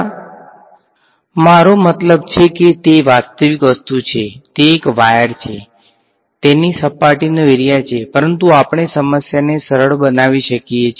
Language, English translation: Gujarati, It is a I mean it is a two it is a realistic object, it is a wire, it has some surface area, but we can simplify our problem